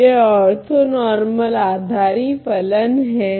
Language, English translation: Hindi, So, these are an orthonormal basis function